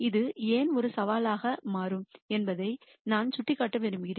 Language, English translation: Tamil, I just also want to point out why this becomes a challenge